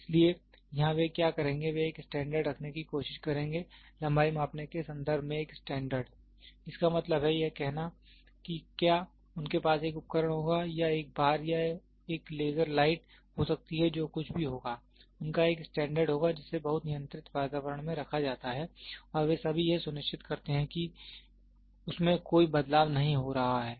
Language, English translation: Hindi, So, here what they will do is, they will try to have one standard; one standard in terms of length measuring; that means, to say if they will have a device or may be a bar or a laser light whatever it is they will have one standard which is kept in a very controlled atmosphere and they all makes sure that there is no changes which is happening to it